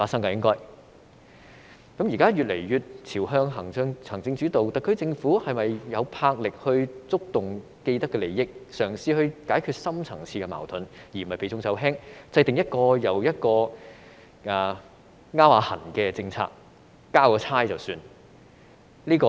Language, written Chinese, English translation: Cantonese, 香港現在越來越朝向行政主導，特區政府是否有魄力觸動既得利益，嘗試解決深層次矛盾，而不是避重就輕，制訂一項又一項搔癢般的政策，交差了事？, Hong Kong has become increasingly executive - led . Does the SAR Government have the courage to confront those with vested interests and try to resolve the deep - seated conflicts? . Or will it only dwell on trivial matters and avoid important ones and perfunctorily formulate policies that only scratch the surface?